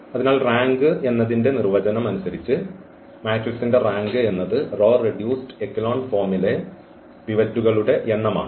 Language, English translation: Malayalam, So, rank of the matrix is the number of the pivots which we see in our reduced a row echelon forms